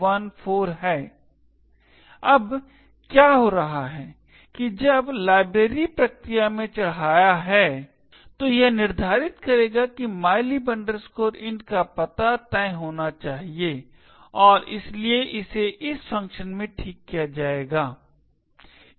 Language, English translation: Hindi, What is happening here is that the when the library is getting loaded into the process would determine that the address of mylib int has to be fixed and therefore it would be fixed it in this function